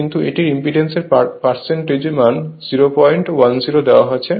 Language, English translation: Bengali, But it percentage your what you call impedance is given 0